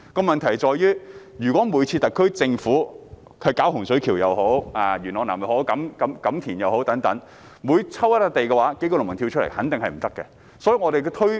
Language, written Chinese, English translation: Cantonese, 問題在於，如果每次特區政府選定一些土地作發展用途時，例如洪水橋、元朗南或錦田等，也有數名農民反對，這樣是不行的。, The problem is that if there are always some farmers staging opposition when the SAR Government selects certain sites for development such as the cases in Hung Shui Kiu Yuen Long South or Kam Tin it is not going to work